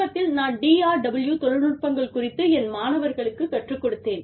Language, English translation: Tamil, I recently taught, a case on DRW Technologies, to my students